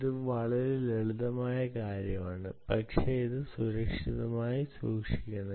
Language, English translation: Malayalam, so this is the simplest: do something, but keep it secure